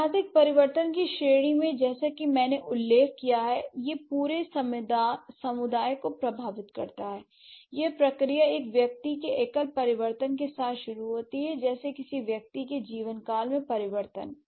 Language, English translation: Hindi, So, in the category of historical change as I mentioned, it affects the entire community and this affecting the entire community, this process begins with one individual's single change, like the change of a single individual's lifetime, right